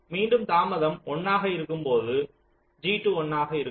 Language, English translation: Tamil, so again, with a delay of one, g two will remain one